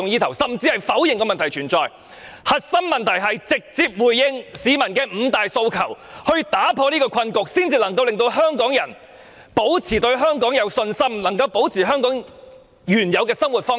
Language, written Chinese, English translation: Cantonese, 其實，核心問題就是要直接回應市民的五大訴求，打破困局，才可以令香港人保持對香港的信心，保持香港人的原有生活方式。, In fact the core issue is that the Government must directly respond to the five demands in order to break the deadlock and restore the confidence of the people in Hong Kong and enable them to keep their original way of life